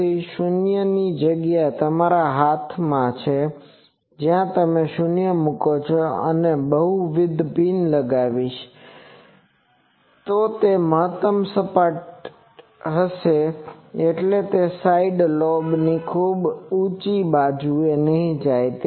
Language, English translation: Gujarati, So, 0 placing is in your hand where you will place the 0s and if I multiple pins if I put, then it will be that maximally flat means it is not going to a side lobe of very higher sharply